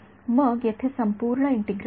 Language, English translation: Marathi, So, the integrals will be different